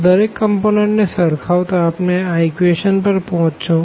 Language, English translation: Gujarati, So, comparing the each component we will get basically we will get back to these equations